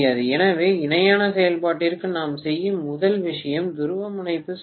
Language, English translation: Tamil, So the first thing we do for parallel operation is to do polarity test